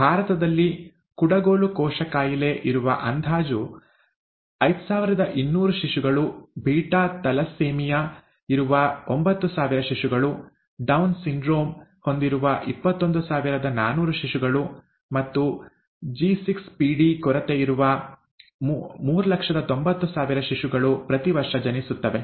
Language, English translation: Kannada, In India, an estimated five thousand two hundred infants with sickle cell disease, nine thousand with something called beta thalassaemia, twenty one thousand four hundred with Down syndrome and , three hundred and ninety thousand with G6PD deficiency are born each year, okay